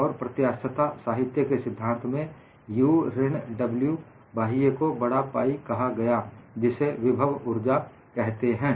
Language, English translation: Hindi, And in theory of elasticity literature, the combination of U minus W external is termed as capital pi; it is known as potential energy